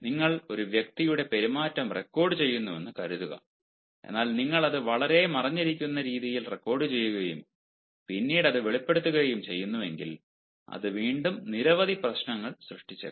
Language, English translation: Malayalam, suppose you are recording a person s ah behavior, fine, but if you are recording it in a very hidden manner and you later disclose it, that may once again ah create a lot of problems